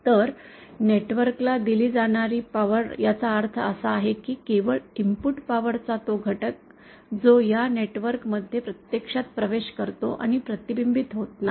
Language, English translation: Marathi, So, power delivered to the network refers to that, only that component of people power which actually enters this network and is not reflected